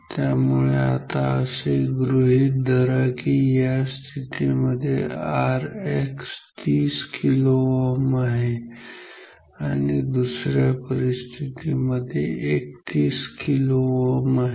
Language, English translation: Marathi, So, note when say R X is equal to say 30 kilo ohm and another situation R X is equal to say 31 kilo ohm